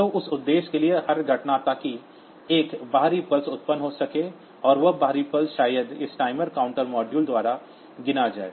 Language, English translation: Hindi, So, for that purpose, so every event, so that can generate an external pulse, and that external pulse maybe counted by this timer counter module